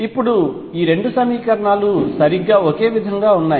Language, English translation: Telugu, Now, these 2 equations are exactly the same